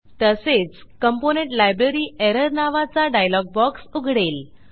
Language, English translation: Marathi, It will also open a dialog box titled Component Library Error